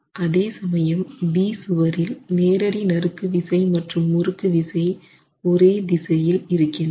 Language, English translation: Tamil, However, if you look at wall B, then you see that the direct shear and the torsional shear are in the same direction